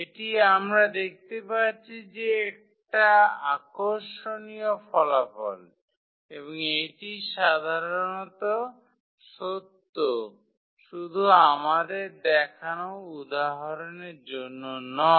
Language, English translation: Bengali, So, that is interesting result we have seen and that is true in general not for the example we have just shown